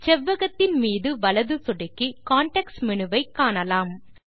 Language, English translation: Tamil, Right click on the rectangle to view the context menu